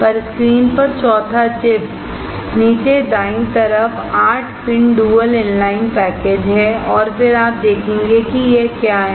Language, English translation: Hindi, On the fourth chip on the screen, the bottom right is 8 pin dual inline package and again you see what is that